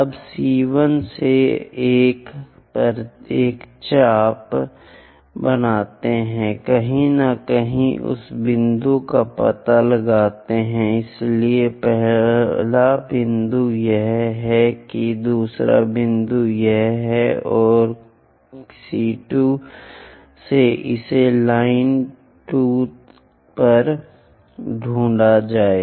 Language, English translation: Hindi, Now, from C1 make an arc on 1 somewhere there locate that point so the first point is that, second point is that from C2 locate it on the line 2